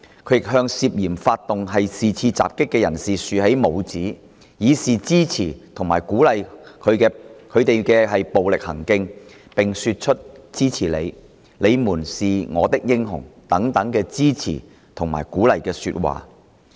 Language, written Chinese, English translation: Cantonese, 他亦向涉嫌發動是次襲擊的人士豎起拇指，以示支持及鼓勵其暴力行徑，並說出'支持你'及'你們是我的英雄'等支持和鼓勵的說話。, He had also given a thumbs up to those people suspected of launching the assault to show his support and encouragement for their violent acts and made such supportive and encouraging remarks as I support you and You are my heroes